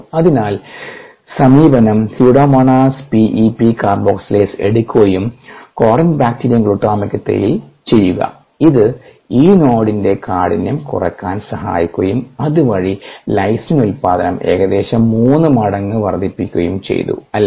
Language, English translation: Malayalam, therefore, the approach was: take pseudomonas, p e, p carboxylase, express in ah, corynebacterium glutamicum, and that has helped to decrease the rigidity of this node and thereby increase the production of lysine by about three fold